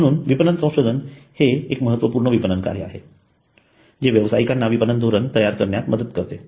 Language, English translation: Marathi, Marketing research is a crucial marketing function which helps marketers in strategy formulation